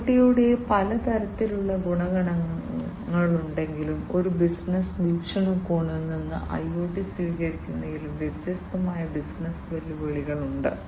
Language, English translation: Malayalam, From although there are so many different types of advantages of IoT, from a business perspective; there are different business challenges as well in the adoption of IoT